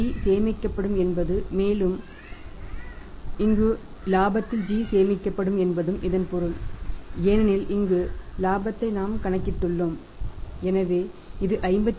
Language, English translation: Tamil, So, it means g will be saved and that g will be further added into the profit here so because we have calculated the profit profit here so that is 52